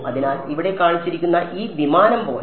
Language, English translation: Malayalam, So, like this aircraft that has been shown over here